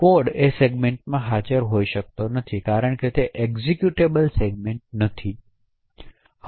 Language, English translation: Gujarati, Code cannot be present in that segment because it is not an executable segment